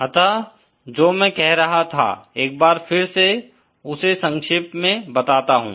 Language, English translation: Hindi, So, this is once again summarising what I was saying